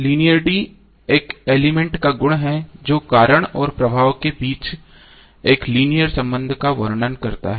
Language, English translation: Hindi, Linearity is the property of an element describing a linear relationship between cause and effect